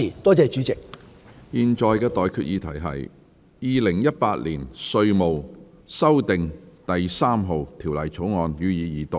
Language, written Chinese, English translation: Cantonese, 我現在向各位提出的待決議題是：《2018年稅務條例草案》，予以二讀。, I now put the question to you and that is That the Inland Revenue Amendment No . 3 Bill 2018 be read the Second time